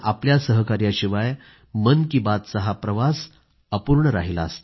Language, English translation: Marathi, Without your contribution and cooperation, this journey of Mann Ki Baat would have been incomplete